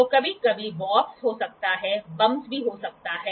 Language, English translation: Hindi, So, sometimes there can be warps there can be bumps